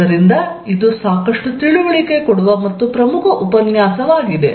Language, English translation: Kannada, So, this is quite an instructive and important lecture